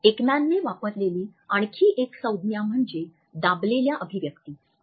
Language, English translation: Marathi, Another term which Ekman has used is squelched expressions